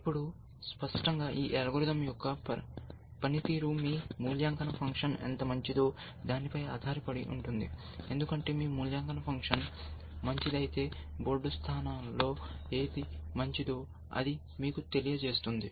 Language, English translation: Telugu, Now, clearly the performance of this algorithm will depend upon how good your evaluation function is, essentially, because if your evaluation function is good, then it will tell you which of the board positions are better